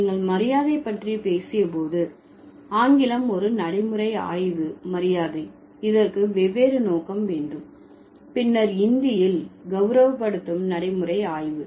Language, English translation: Tamil, So, when you talk about honorification, English, pragmatic study of honorification in English will have different scope than the pragmatic study of honorification in Hindi